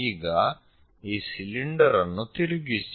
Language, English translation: Kannada, For example, this is the cylinder